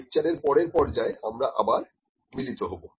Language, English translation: Bengali, So, let us meet in the next part of the lecture